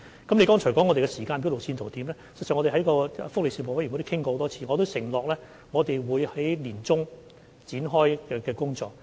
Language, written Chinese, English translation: Cantonese, 議員剛才問我們的時間表和路線圖，事實上，我們在福利事務委員會會議上已多次討論，並承諾我們會在年中展開工作。, Mr LEUNG asked about our timetable and roadmap earlier . In fact this issue has been discussed many times in the meetings of the Panel on Welfare Services in which we have undertaken to commence work in the middle of this year